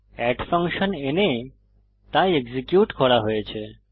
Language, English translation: Bengali, The add function is called and then executed